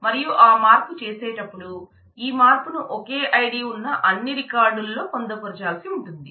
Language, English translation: Telugu, And while making that change this change will need to be incorporated in all the records having the same ID